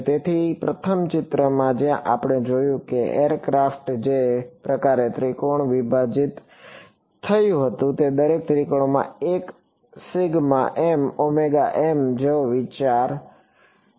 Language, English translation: Gujarati, So, in that first picture where we saw that aircraft which was sort of broken up into triangles, each triangle is like this one sigma m omega m that is the idea